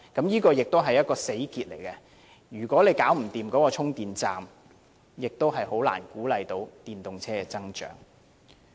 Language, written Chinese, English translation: Cantonese, 這也是一個死結，如果不能安裝充電站，便難以鼓勵電動車的增長。, If charging stations are not allowed to be installed it will be difficult to boost the growth of electric vehicles